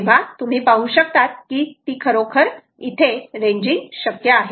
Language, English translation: Marathi, you will see that ranging is actually possible